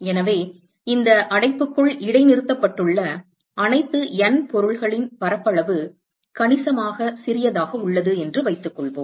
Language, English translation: Tamil, So, let us assume that the surface area of all the N objects which are suspended inside this enclosure is significantly smaller